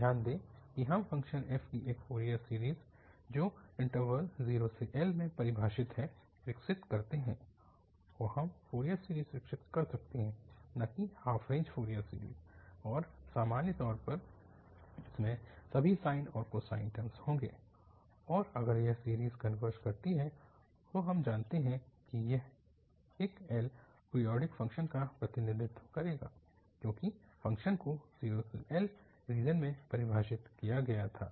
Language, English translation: Hindi, Note that, we develop a Fourier series of a function f defined in the interval, so we can develop the Fourier series, not the half range the Fourier series and it will in general contain all sine and cosine terms and this series if converges, we know that, that it will represent a L periodic function because the function was defined in this 0 to L, L region